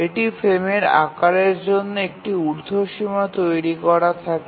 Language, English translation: Bengali, So this sets an upper bound for the frame size